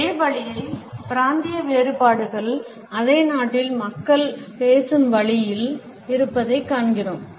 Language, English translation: Tamil, In the same way we find that the regional differences also exist in the way people speak within the same country